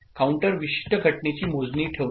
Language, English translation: Marathi, Counter keeps count of a particular event